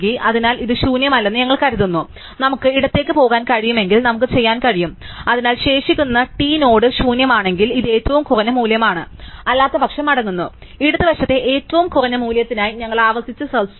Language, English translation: Malayalam, So, we assume it is not empty, so if we can go left we can we do, so if the t dot left is nil then this is the minimum value and we return otherwise, we recursively search for the minimum value on the left